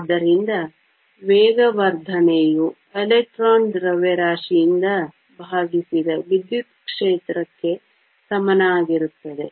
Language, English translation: Kannada, So, the acceleration is equal to the electric field divided by the mass of the electron